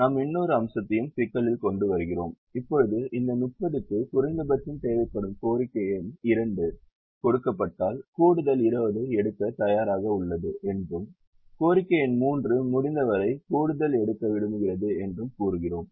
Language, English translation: Tamil, the also bring in another aspect into the problem and say that the demand number two, which right now requires minimum of this thirty, is willing to take an extra twenty is given, and demand number three would like to take as much extra as possible